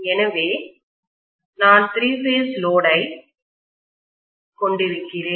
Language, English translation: Tamil, So I am having a three phase load